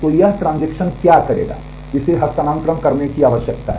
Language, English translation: Hindi, So, what this transaction will do it needs to do the transfer